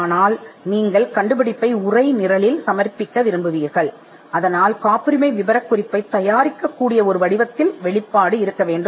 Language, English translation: Tamil, But because you are looking to textualize the invention, you would want the disclosure to be given in a form in which you can prepare the patent specification